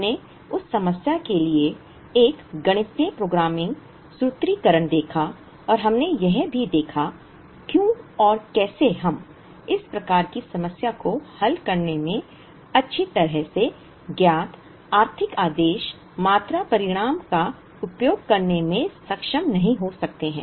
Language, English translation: Hindi, We saw a mathematical programming formulation for that problem and we also saw, why and how we may not be able to use the well known economic order quantity result in solving this type of a problem